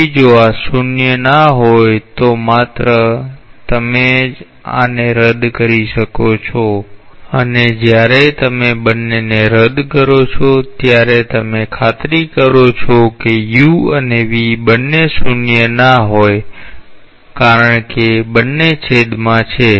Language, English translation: Gujarati, So, if these are non zero, then only you may cancel out this and when you are cancelling out both you are ensuring that u v both are nonzero because both appear in the denominator